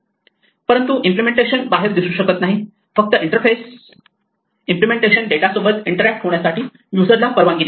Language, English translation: Marathi, But ideally the implementation should not be visible outside only the interface should allow the user to interact with the implemented data